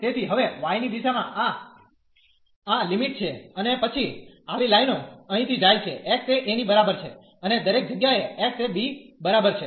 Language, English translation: Gujarati, So, these are the limits now in the direction of y and then such lines they goes from here x is equal to a to and everywhere up to x is equal to b